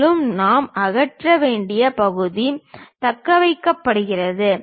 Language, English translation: Tamil, And, the portion what we have to remove is retain that